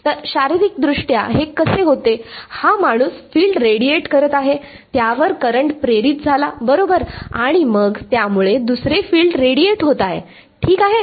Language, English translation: Marathi, So, how does this what will happen physically is, this guy radiates a field, current is induced on it right and then that in turn will radiate another field ok